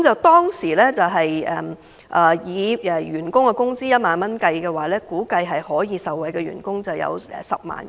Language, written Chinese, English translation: Cantonese, 當時以員工薪酬1萬元作為計算基準，受惠員工估計達10萬人。, Based on a per capita salary of 10,000 the number of beneficiaries was estimated to be 100 000